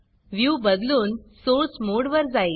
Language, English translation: Marathi, The view is switched to the Source mode